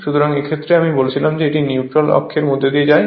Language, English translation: Bengali, So, in that case that you have to what you call just I told it passes through the neutral axis